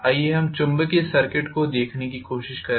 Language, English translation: Hindi, Let us try to look at the magnetic circuit again